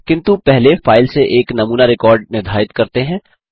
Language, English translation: Hindi, But first lets define a sample record from the file